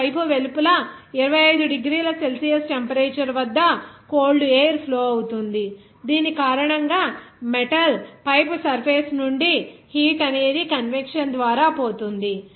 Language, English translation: Telugu, Now, outside the pipe, a cold air is flowing at a temperature of 25 degrees Celsius due to which the heat from the metal pipe surface is lost by convection